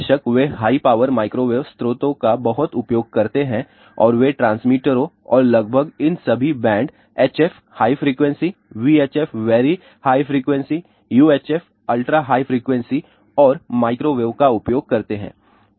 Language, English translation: Hindi, Of course, they do use lot of high power microwave sources and they use transmitters and almost all these band HF high frequency, VHF very high frequency, UHF ultra high frequency and microwave